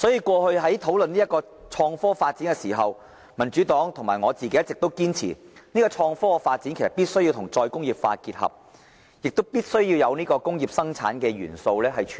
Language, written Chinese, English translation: Cantonese, 過去討論創科發展時，民主黨和我一直堅持，創科發展必須與再工業化結合，也必須包括工業生產的元素。, In our past discussions on the development of innovation and technology the Democratic Party and I insisted on integrating such development with re - industrialization to include the elements of industrial production